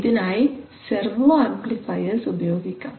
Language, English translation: Malayalam, So you use what is known as servo amplifiers